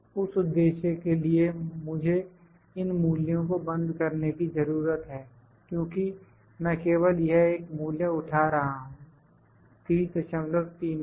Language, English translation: Hindi, For that, for that purpose I need to lock these values because I have I am just picking this one value, 30